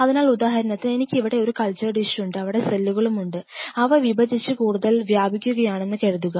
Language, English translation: Malayalam, So, say for example, I have a cultured dish here where I have these cells which are sitting and suppose they are dividing and spreading further